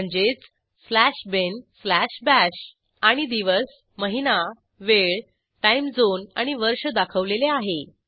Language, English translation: Marathi, ie slash bin slash bash And Day, Month, Time, Time zone and Year are displayed